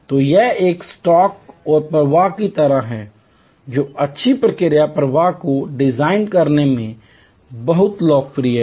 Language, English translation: Hindi, So, this is like a stock and flow, which is very popular in designing good process flows